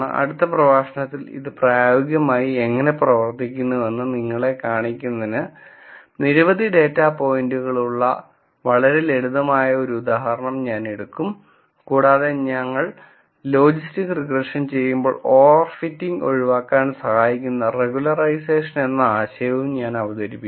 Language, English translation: Malayalam, In the next lecture, I will take very simple example with several data points to show you how this works in practice and I will also introduce notion of regularization, which would help in avoiding over fitting when we do logistic regression